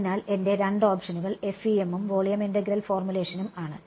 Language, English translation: Malayalam, So, my two options are FEM and volume integral formulation ok